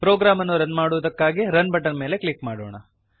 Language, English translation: Kannada, Let us click on Run button to run the program